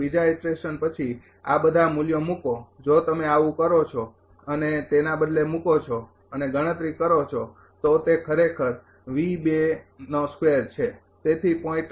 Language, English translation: Gujarati, After second iteration so put all these values if you do so and substitute and compute it is actually now V 2 square so 0